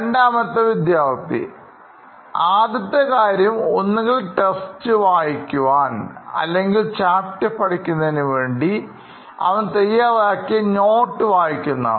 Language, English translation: Malayalam, Student 2: So the first thing you would probably do is either read the text or the relevant notes that he had prepared for that particular chapter